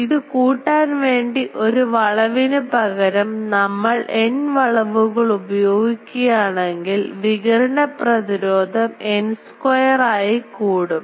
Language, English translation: Malayalam, But this can be increased a bit if we instead of a single turn of a loop; if we use N turns, the radiation resistance will increase by n square